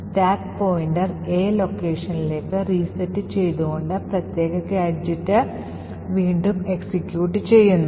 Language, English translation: Malayalam, Thus, the stack pointer is then reset to this A location and re executes this particular gadget